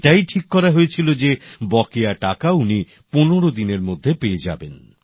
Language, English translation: Bengali, It had been decided that the outstanding amount would be cleared in fifteen days